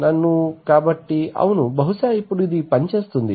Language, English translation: Telugu, Let me, so, yeah, maybe now it will work now